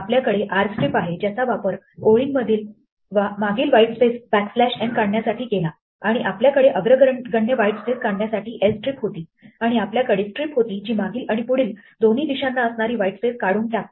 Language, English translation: Marathi, We have rstrip, which we used for example to remove the trailing whitespace backslash n in our lines, and we had lstrip to remove leading whitespace, and we had strip which removes it on both directions